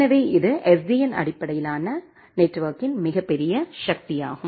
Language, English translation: Tamil, So, that is a huge power of SDN based network